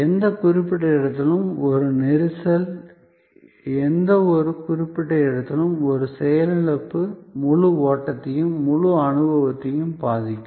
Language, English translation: Tamil, Therefore, a jam at any particular point, a malfunction at any particular point can affect the whole flow, the whole experience